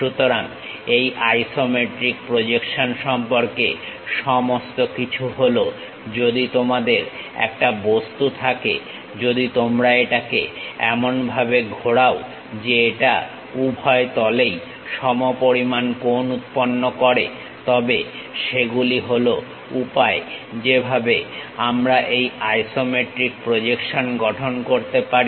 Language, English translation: Bengali, So, all about this isometric projection is if you have an object if you are rotating in such a way that it makes equal angles on both the planes that is the way we have to construct this isometric projections